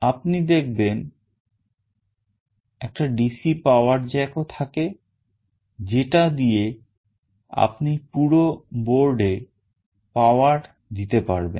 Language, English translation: Bengali, You can see there is also a DC power jack through that you can power this entire board